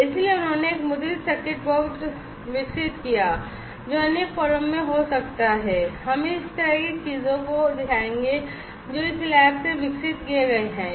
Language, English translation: Hindi, So, he developed a printed circuit board may be in other forum we will show those kind of things whatever has been developed from this lab